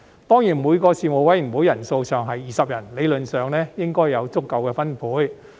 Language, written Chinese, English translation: Cantonese, 當然，每個事務委員會人數上限是20人，理論上應該有足夠的分配。, Of course each Panel can have a maximum of 20 members and theoretically this should be enough for allocation